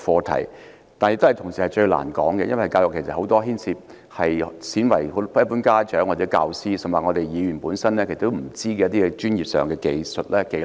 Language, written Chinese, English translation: Cantonese, 同時，教育也是最難討論的，因為教育牽涉到很多鮮為人知，連一般家長、教師，甚至議員本身也不知道的專業技術或技能。, Meanwhile education is also the most difficult topic for a discussion because it involves considerable technical knowledge or skills rarely known to ordinary parents teachers and even Members